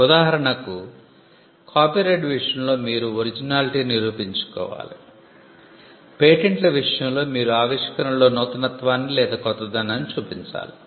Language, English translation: Telugu, For instance, in the case of copyright you need to prove originality; in the case of patents you need to show inventive step